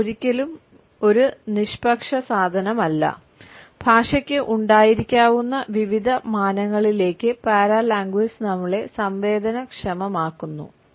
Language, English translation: Malayalam, Language is never in neutral commodity paralanguage sensitizes us to the various dimensions language can have